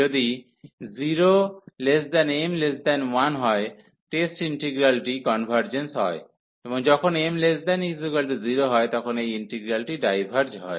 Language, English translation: Bengali, So, if this m lies between 0 and 1, the integral test integral convergence; and when m is less than equal to 0, this integral diverges